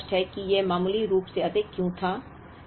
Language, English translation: Hindi, It is very clear as to why this was marginally higher